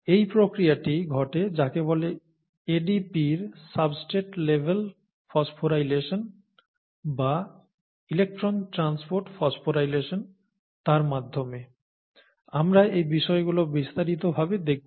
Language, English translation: Bengali, And this process happens through what is called a substrate level phosphorylation of ADP or an electron transport phosphorylation of ADP, we will look at a little bit in detail about these things